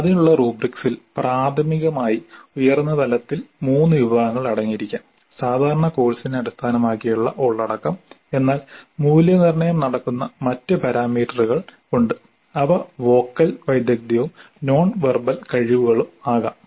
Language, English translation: Malayalam, The rubrics for that could contain primarily at the highest level three categories, the content itself which typically is based on the course but there are other things, other parameters on which the evaluation takes place, they can be vocal skills and non verbal skills